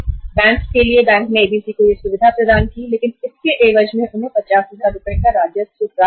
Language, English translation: Hindi, For the bank, bank provided this facility to ABC but the earned in lieu of that they earned 50,000 Rs revenue just in a period of 35 days